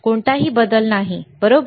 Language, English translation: Marathi, There is no change, right